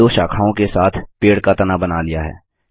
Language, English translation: Hindi, You have drawn a tree trunk with two branches